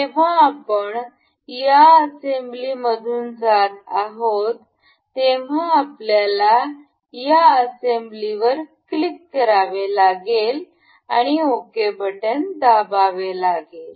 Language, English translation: Marathi, Now when we are going through this assembly we have to click on this assembly and ok